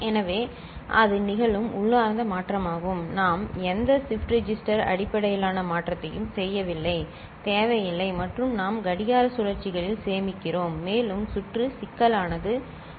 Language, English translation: Tamil, So, that is the inherent shifting that is happening we are not doing any shift register based shifting is not required and we are saving on clock cycles and also the complexity of the circuit is reduced